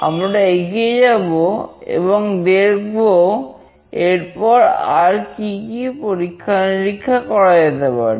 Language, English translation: Bengali, We will move on and we will see that what all experiments we can do next